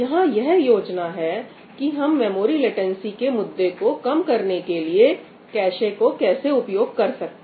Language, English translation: Hindi, the idea here is how we can utilize the cache to overcome the memory latency issue